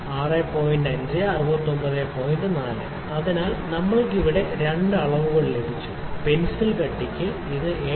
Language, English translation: Malayalam, 4; so, we have got two readings here, so, for the pencil thickness it is 7